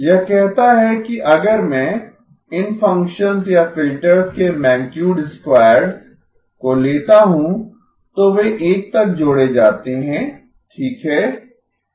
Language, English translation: Hindi, This says that if I take the magnitude squares of these functions or filters, then they add up to 1 okay